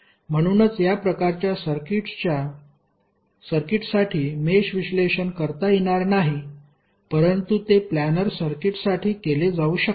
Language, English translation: Marathi, So that is why the mesh analysis cannot be done for this type of circuits but it can be done for planar circuits